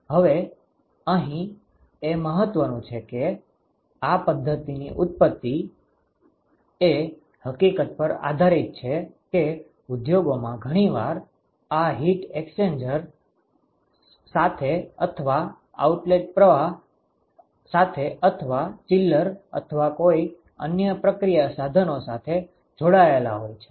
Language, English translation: Gujarati, Now, what is important here is that the genesis of this method is based on the fact that in industries often these heat exchangers are connected to a reactor or connected to an outlet stream, connected to a chiller or something some other process equipment